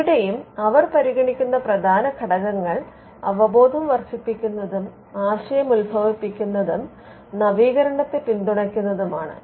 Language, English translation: Malayalam, Here again the major factors that they consider includes awareness promotion and support of idea generation and innovation